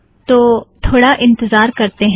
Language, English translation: Hindi, So lets wait for some time